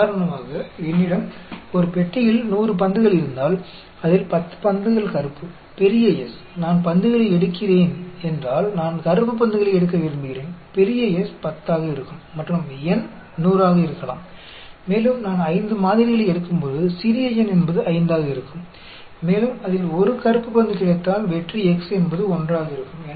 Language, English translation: Tamil, For example, if I have 100 balls in a box, out of that 10 balls are black, the capital S, if I am picking up balls, I want to pick up black balls, capital S will be 10, and n could be 100; and, when I take a sample of, say 5, the small n will be 5; and, if I get 1 black ball in that, the success x will be 1